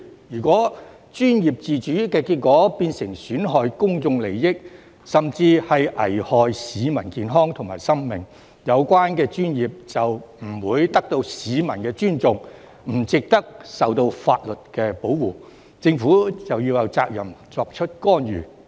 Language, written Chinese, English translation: Cantonese, 如果專業自主的結果是損害公眾利益，甚至危害市民健康和生命，有關專業就不會得到市民尊重，不值得受到法律保護，政府有責任作出干預。, If the result of professional autonomy is undermining public interest or even endangering the health and lives of the public the professions concerned will neither be respected by the public nor deserve legal protection and the Government has the responsibility to intervene